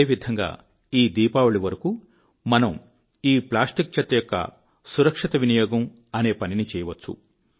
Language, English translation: Telugu, This way we can accomplish our task of ensuring safe disposal of plastic waste before this Diwali